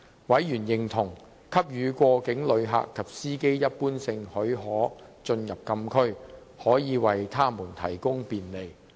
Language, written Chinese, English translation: Cantonese, 委員認同，給予過境旅客及司機一般性許可進入禁區，可以為他們提供便利。, Members agreed that granting general permission for cross - boundary passengers and drivers to enter the Closed Areas could provide facilitation